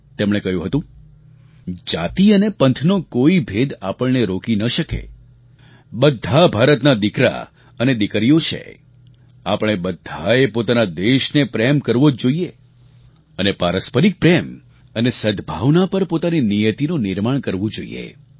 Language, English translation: Gujarati, He had said "No division of caste or creed should be able to stop us, all are the sons & daughters of India, all of us should love our country and we should carve out our destiny on the foundation of mutual love & harmony